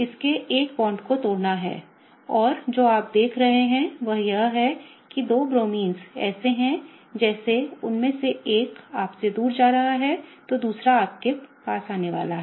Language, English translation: Hindi, It has to break one of its bonds and what you see is that the two Bromines are such that, if one of them is going away from you the other one is kind of coming towards you